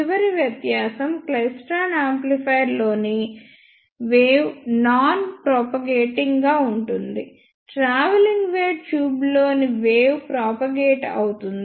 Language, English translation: Telugu, And the last difference is the wave in klystron amplifier is non propagative; whereas the wave in travelling wave tube is propagative